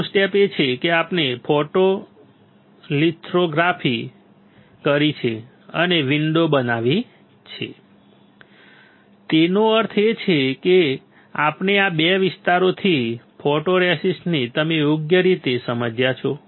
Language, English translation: Gujarati, Next step; next step is we have performed the photolithography and created a window; that means, we have etched the photoresist from these 2 area correct you understood right